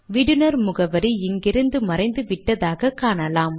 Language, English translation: Tamil, You can see that the from address has disappeared from here